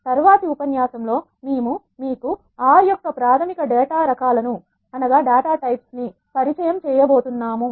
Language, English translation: Telugu, In the next lecture we are going to introduce you to the basic data types of R